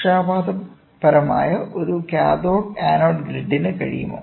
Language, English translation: Malayalam, Can a cathode anode grid which is biased